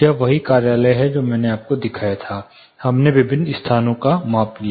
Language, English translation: Hindi, This is the same office that I showed you, we took measurement in different locations